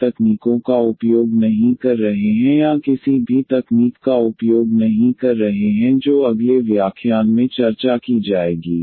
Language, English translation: Hindi, So, we are not finding the techniques or using any techniques to find the solution that will be discussed in the next lecture